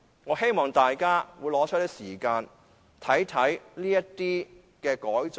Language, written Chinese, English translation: Cantonese, 我希望大家撥出時間，看看這些改進。, I hope all Honourable colleagues can set aside the time to look at such improvements